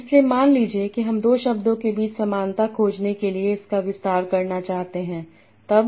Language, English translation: Hindi, So now suppose I want to extend that to find the similarity between two words